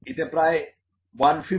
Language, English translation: Bengali, So, this is about 150 mm